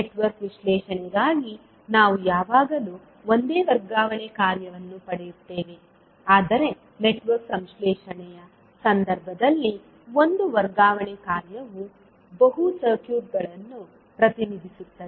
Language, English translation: Kannada, Means for Network Analysis we will always get one single transfer function but in case of Network Synthesis one transfer function can represent multiple circuits